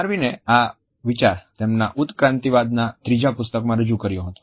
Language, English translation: Gujarati, This idea was presented by Darwin in his third major work of evolutionary theory